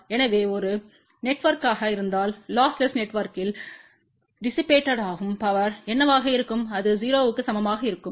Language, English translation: Tamil, So, if a network is lossless what will be the power dissipated in the network, it will be equal to 0